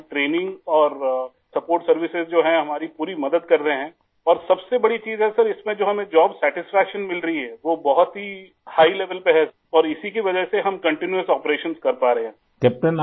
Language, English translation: Urdu, Our training and support services that we have are assisting us fully and the best thing, Sir, is that the job satisfaction derived is of a very high level